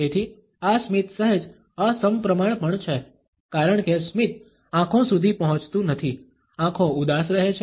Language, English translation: Gujarati, So, this smile is also slightly asymmetric one, because the smile does not reach the eyes, the eyes remain sad